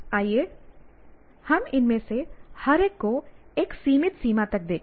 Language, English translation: Hindi, Let us look at each one of these to a limited extent